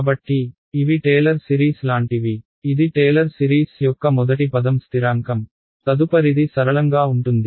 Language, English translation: Telugu, So, these are like the Taylor series this is the first term of the trailer series constant the next would be linear right